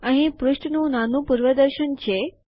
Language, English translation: Gujarati, Here is a small preview of the page